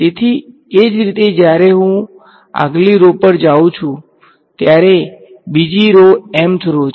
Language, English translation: Gujarati, So, similarly when I go to the next row this is yet another the mth row